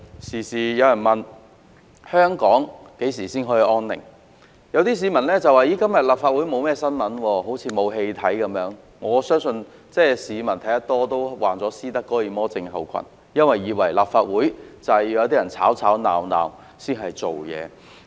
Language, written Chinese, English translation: Cantonese, 常有人問香港何時才得享安寧，有些市民也說今天沒有立法會新聞，好像沒有戲可看一般，但我相信市民看得多也會患上斯德哥爾摩症候群，以為立法會是要有些人在吵吵鬧鬧才能做事。, People often asked when would Hong Kong enjoy some quiet days and there were also times when some people queried why there was not much news about the Legislative Council that day as if they got no good show to watch . However I do believe that by watching too many shows like these people will suffer from Stockholm syndrome and mistakenly think that things can be done in this Council only when there are Members stirring up troubles here